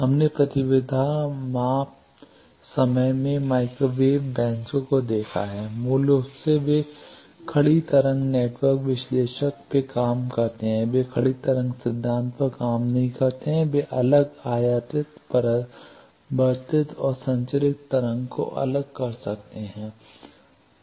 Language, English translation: Hindi, We have seen microwave benches in the impedance measurement time, basically they work on standing wave network analyzers, do not work on standing wave phenomena they can separate incident reflected and transmitted wave